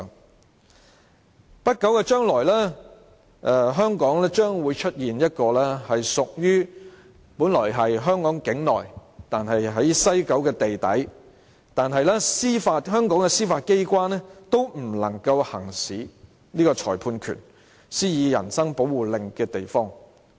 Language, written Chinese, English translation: Cantonese, 在不久的將來，香港將會出現一個本來屬於香港境內、位處西九龍地底，但香港的司法機關也無法行使裁判權、施以人身保護令的地方。, In the not too distant future in Hong Kong there will be a place located underground in West Kowloon which is originally within the boundary of Hong Kong but the Judiciary of Hong Kong cannot exercise jurisdiction there; nor can it issue a writ of habeas corpus for anyone there